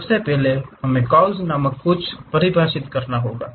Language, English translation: Hindi, First of all we have to define something named curves